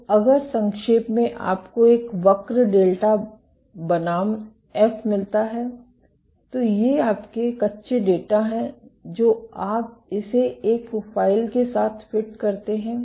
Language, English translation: Hindi, So, if in essence you get a curve delta versus F, which is these are your raw data you fit it with a profile